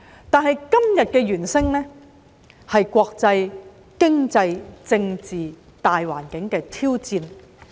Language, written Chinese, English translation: Cantonese, 但是，今天的"猿聲"是國際、經濟、政治大環境的挑戰。, Today however the calls of the monkeys refer to challenges posed by the international economic and political environment